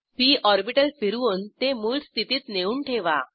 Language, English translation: Marathi, Rotate the p orbital to original position